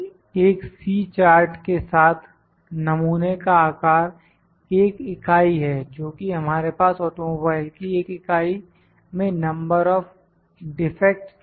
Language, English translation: Hindi, With a C chart, the sample size is one unit that is we had the number of defects in an automobile in a in one unit